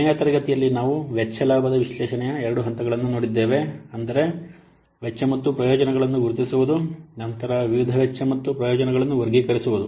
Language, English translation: Kannada, Last class we have seen these two phases of cost benefit analysis, that means identifying the cost and benefits, then categorizing the various cost and benefits